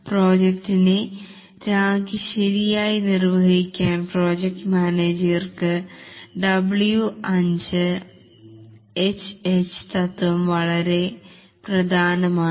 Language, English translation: Malayalam, The W5 H H principle is very important for the project manager to be able to properly define the scope of the project